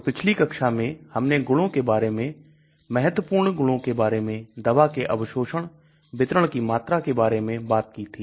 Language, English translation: Hindi, So in the previous class I had talked about properties, important properties, the drug absorption , volume of distribution